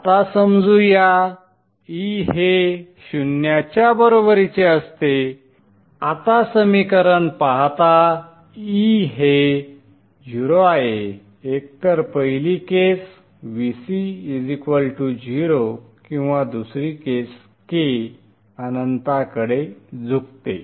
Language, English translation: Marathi, Now looking at the equation, E is 0 either first case Vc is equal to 0 or second case, k tends to infinity